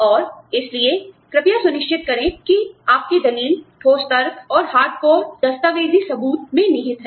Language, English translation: Hindi, And so, please make sure that, your tracks are, you know, your argument is rooted, in solid logic, and hard core documentary evidence